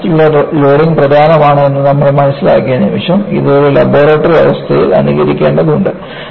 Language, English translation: Malayalam, The moment, you understood repeated loading is important; it has to be simulated in a laboratory condition